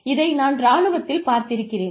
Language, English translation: Tamil, I have seen this in the armed forces